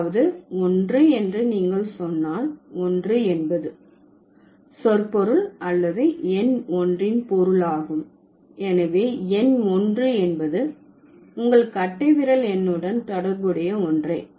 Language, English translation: Tamil, So, that means if you say 1, 1 means this, like the semantics or the meaning of number one, the numeral one, is same with the number of your thumb, right